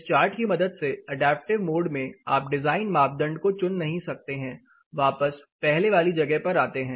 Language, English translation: Hindi, Using this particular chart in the adaptive mode you cannot really select a set of design criteria which will help you getting back to where we were